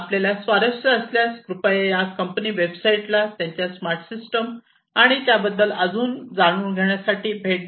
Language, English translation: Marathi, So, if you are interested please feel free to visit these company websites to, to know more about their systems, their smarter systems, and so on